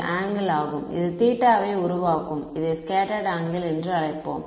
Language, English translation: Tamil, This is the angle it makes theta s let us call it scattered angle